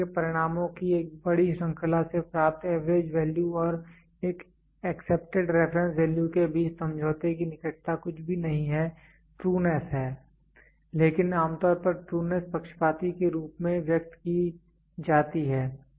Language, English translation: Hindi, The closeness of agreement between the average value obtained from a large series of test results and an accepted reference value is nothing, but the trueness it is usually expressed in terms if biased